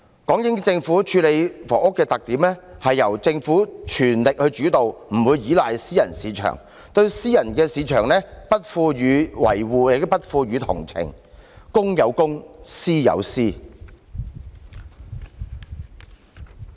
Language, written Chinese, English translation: Cantonese, 港英政府處理房屋的特點，是由政府全力主導，不會依賴私人市場，對私樓市場不予維護，亦不予同情，公有公，私有私。, A special feature of the British Hong Kong Government in handling housing was that it would fully take the lead . It would not rely on the private market . It would neither protect nor sympathize with the private property market separating public interests from private ones